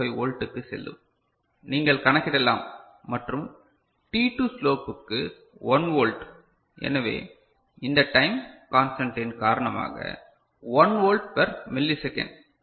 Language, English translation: Tamil, 25 volt, you can calculate right and for the t2 slope is this is 1 volt right; so, 1 volt per millisecond because of this time constant, 1 volt per millisecond ok